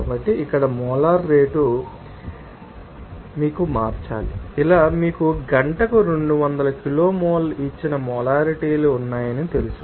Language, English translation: Telugu, So, here molar rate you have to convert it to you know that like this you have molarities given 200 kilomole per hour